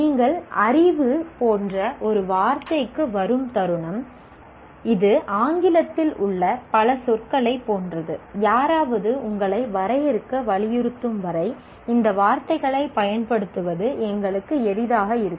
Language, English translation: Tamil, The moment you come to a word like knowledge, it's like several other words in English, we are comfortable in using the word, using these words until somebody insists you define